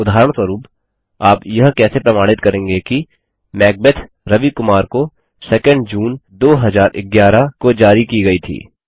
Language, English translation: Hindi, Also, for example,How will you establish that Macbeth was issued to Ravi Kumar on 2nd June 2011